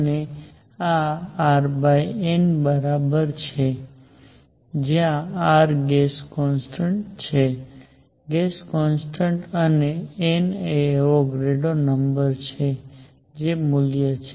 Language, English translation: Gujarati, And this is equal to R over N where R is the gas constants gas constant and N is the Avogadro number that is the value